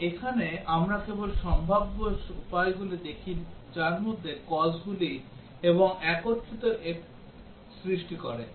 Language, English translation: Bengali, And here we look at only the possible ways in which the causes and combine to produce effect